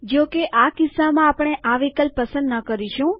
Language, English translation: Gujarati, However, in this case we will not choose this option